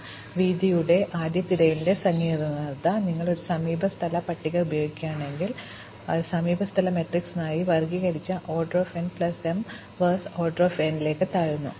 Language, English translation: Malayalam, So, the complexity of the breadth first search, if you are using an adjacency list, it drops to O n plus m versus order n squared for the adjacency matrix